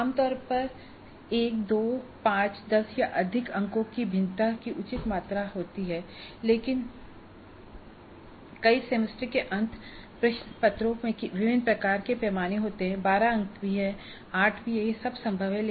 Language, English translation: Hindi, When evaluation is scoring there is again fair amount of variability typically 1, 2, 5, 10 or more marks but several semester and question papers do have different kinds of scales, even 12 marks, 8 marks, these are all possible